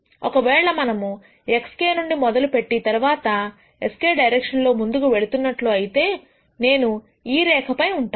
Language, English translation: Telugu, If I start from x k and then keep moving in the direction of s k this is what it will be I will be on this line